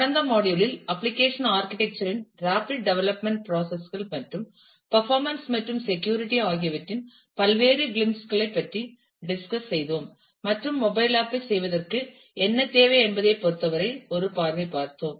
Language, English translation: Tamil, In the last module we have discussed about different aspects of application architecture rapid development process issues and performance and security and took a glimpse in terms of, what is required for doing a mobile app